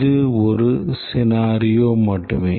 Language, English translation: Tamil, But then that is just one scenario